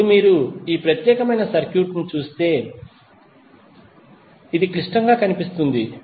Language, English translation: Telugu, Now if you see this particular circuit, it looks complex